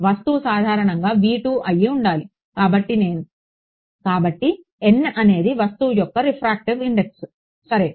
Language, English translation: Telugu, The object typically v 2; so, n is the refractive index of object right ok